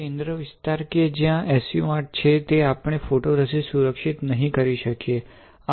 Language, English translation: Gujarati, And the center area which is having SU 8 we will not protect photoresist